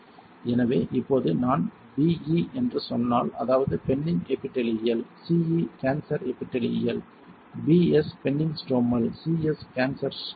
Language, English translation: Tamil, So, now, if I say BE; that means, benign epithelial, CE cancer epithelial, BS benign stromal, CS cancer stromal alright